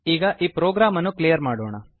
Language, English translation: Kannada, Lets now clear this program